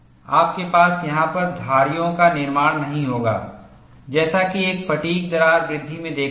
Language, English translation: Hindi, You would not have formation of striations, which is what you see in a fatigue crack growth